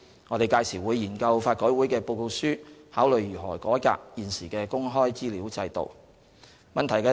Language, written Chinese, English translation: Cantonese, 我們屆時會研究法改會的報告書，考慮如何改革現時的公開資料制度。, We will study the LRC reports in due course and consider how to reform the current access to information system